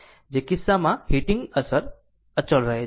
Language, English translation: Gujarati, In which case the heating effect remains constant